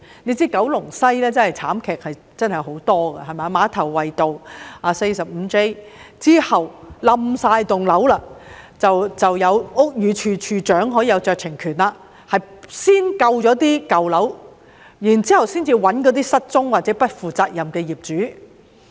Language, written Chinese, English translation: Cantonese, 須知道，九龍西的慘劇真的很多，馬頭圍道 45J 號的整幢樓宇倒塌後，屋宇署署長當時可行使酌情權先救舊樓，然後才尋找失蹤或不負責任的業主。, It should be noted that many tragedies did occur in Kowloon West . After the collapse of the entire building at 45J Ma Tau Wai Road the Director of Buildings could at that time exercise his discretion to save the old building first before searching for the missing or irresponsible owners